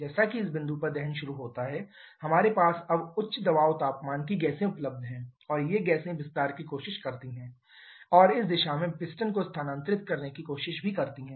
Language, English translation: Hindi, As the combustion starts at this point we now have high pressure temperature gases available but the; and these gases tries to expand and tries to move the piston in this direction